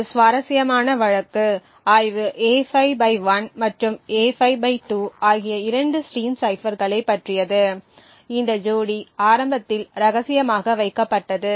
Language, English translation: Tamil, An interesting case study is about the two stream ciphers A5/1 and A5/2 which pair initially kept secret